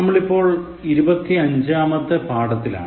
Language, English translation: Malayalam, We are on lesson number 25